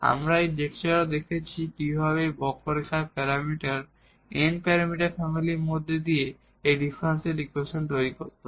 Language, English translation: Bengali, We have also seen in this lecture that how to this form differential equation out of the given of parameter n parameter family of curves